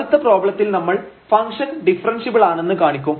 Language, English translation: Malayalam, So, in this case we have observed that this function is differentiable